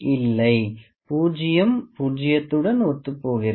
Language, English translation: Tamil, Zero is coinciding with zero